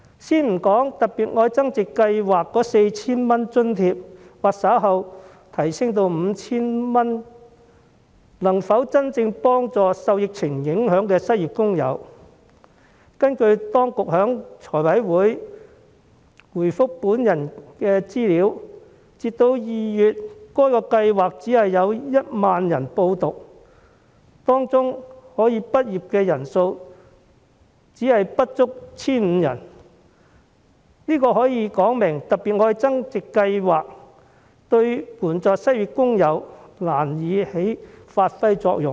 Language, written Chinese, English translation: Cantonese, 先不說計劃的 4,000 元津貼，或稍後提升至 5,000 元的津貼能否真正幫助受疫情影響的失業工友，根據當局在財務委員會回覆我的資料，截至2月，該計劃只有1萬人報讀，當中可以畢業的人數不足 1,500 人，說明了計劃對援助失業工友難以發揮作用。, Let us first not discuss whether the 4,000 allowance which will be increased to 5,000 later can really help unemployed workers affected by the epidemic . According to the information provided by the Administration to the Finance Committee in response to my request as of February only 10 000 people enrolled in the Scheme and fewer than 1 500 of them made it to graduation indicating that the Scheme is of little help to unemployed workers